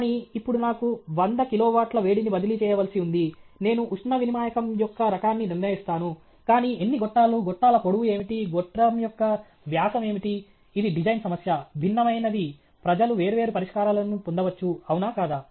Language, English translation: Telugu, But now I have 100 kilowatts of heat to be transferred, I decide the type of heat exchanger, but how many numbers of tubes, what is the length of the tubes, what is the diameter of the tube that is a design problem, different people can get different solutions, is it okay